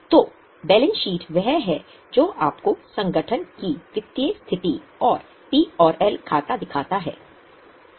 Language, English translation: Hindi, So, balance sheet is one which shows you the financial position of the organization